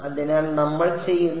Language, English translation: Malayalam, So, what we do is